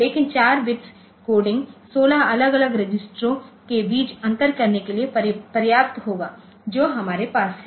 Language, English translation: Hindi, But 4 bit coding will be sufficient to differentiate between the 16 different registers that we have